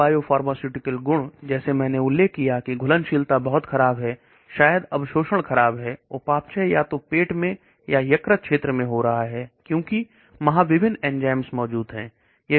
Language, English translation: Hindi, Poor biopharmaceutical properties like I mentioned solubility is very poor, maybe absorption is poor, metabolism is happening either in the stomach or in the liver region, because of various enzymes present